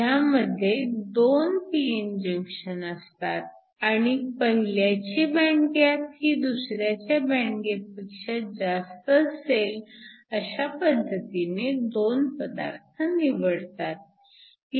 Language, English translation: Marathi, So, you have two p n junctions and you choose your material in such a way that the band gap of the first material is greater than the band gap of the second